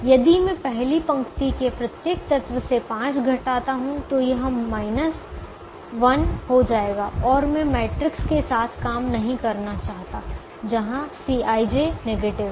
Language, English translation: Hindi, if i subtract five from every element of the first row, then this thing will become minus one, and i don't want to work with the matrix where a, c i, j is negative